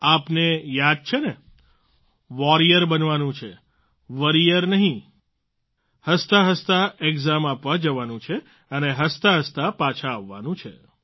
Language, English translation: Gujarati, Do all of you remember You have to become a warrior not a worrier, go gleefully for the examination and come back with a smile